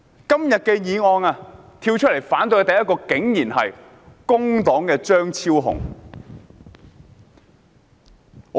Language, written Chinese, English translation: Cantonese, 今天提出這項議案的人竟然是工黨張超雄議員。, The Member who proposed this motion is actually Dr Fernando CHEUNG of the Labour Party